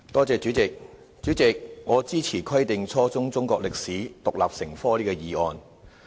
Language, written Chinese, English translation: Cantonese, 主席，我支持"規定初中中國歷史獨立成科"這項議案。, President I support the motion on Requiring the teaching of Chinese history as an independent subject at junior secondary level